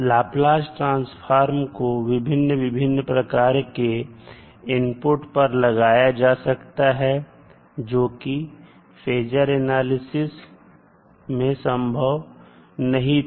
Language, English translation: Hindi, Now Laplace transform can be applied to a wider variety of inputs than the phasor analysis